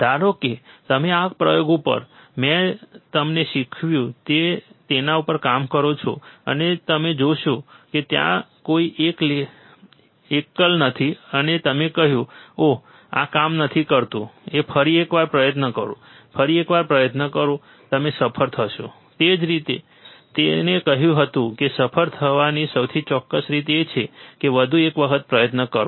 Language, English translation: Gujarati, Suppose you work on this experiment what I have taught you, and you will see there is no single and you said, oh, this is not working do that try once again, try once again, you will succeed that is what he also said that the most certain way to succeed is to try one more time